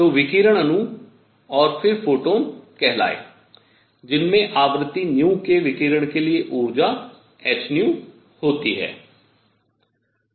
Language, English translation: Hindi, So, radiation molecule and then called photons that have energy h nu for radiation of frequency nu